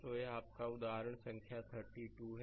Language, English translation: Hindi, So, this is your example number 12